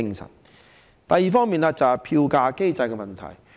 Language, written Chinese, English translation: Cantonese, 另一方面是票價機制的問題。, Another issue is the fare adjustment mechanism